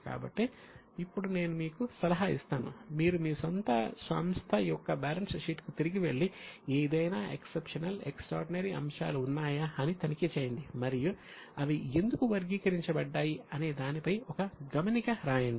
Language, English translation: Telugu, So, I will advise you now you go back to your balance sheet for your own company, check if there are any exceptional or extraordinary items and write a note as to why they are classified so